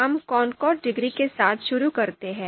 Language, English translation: Hindi, So we have talked about the concordance degree